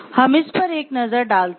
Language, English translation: Hindi, Let us have a look into it